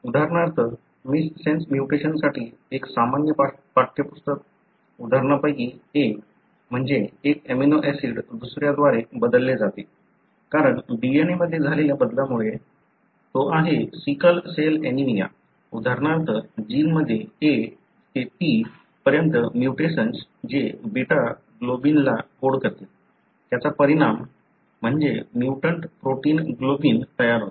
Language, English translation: Marathi, For example, one of the common text book examples for a missense mutation, meaning one amino acid being replaced by another because of a change in the DNA is sickle cell anaemia, wherein for example a mutation from A to T in the gene that codes for beta globin, results in the formation of a mutant protein globin